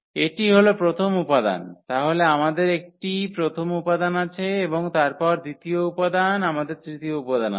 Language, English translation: Bengali, This is the first component then we have we have a this first component and then we have the second component, we have the third component